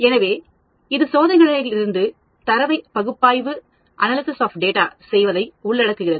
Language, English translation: Tamil, So, it involves analysis of data from experiments